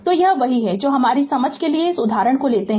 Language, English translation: Hindi, So, this is what we take this example for our understanding right